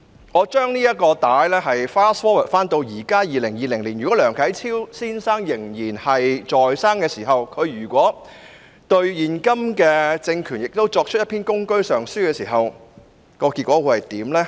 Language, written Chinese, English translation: Cantonese, 我把時間 fast forward 至現今2020年，如果梁啟超先生仍然在生的話，而他對現今政權亦作出一篇《公車上書》時，結果會如何呢？, Now let me fast - forward the time to the present 2020 if Mr LIANG Qichao were still alive and penned a Gongche Petition for the present regime what would the outcome be?